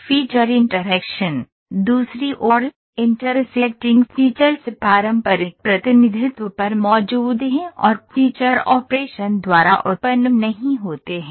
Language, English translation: Hindi, So, on the other hand, intersecting features; these are very important, intersecting features are present on the conventional representation and not generated by the feature operation